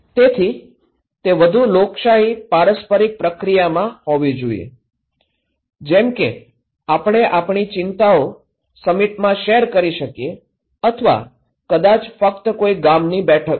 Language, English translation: Gujarati, So, it should be in a more democratic reciprocal process, like we can share our concerns in a summit or maybe in just in a village meeting